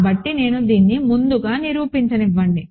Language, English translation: Telugu, So, let me prove this first, ok